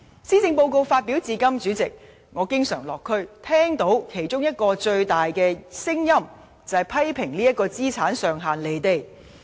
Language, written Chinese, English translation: Cantonese, 施政報告發表至今，主席，我落區經常聽到最大的聲音之一，就是批評這個資產上限與現實脫節。, President since the publication of the Policy Address I have been receiving feedback from the community which criticizes that such an asset limit is cut off from the reality